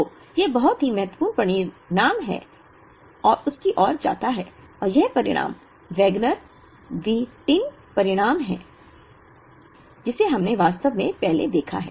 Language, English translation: Hindi, So, this leads to a very important result and that result is the Wagner Whitin result, which we have actually seen earlier